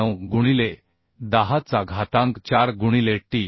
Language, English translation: Marathi, 49 into 10 to the 4 into t